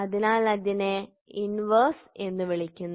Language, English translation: Malayalam, So, that is called as inverse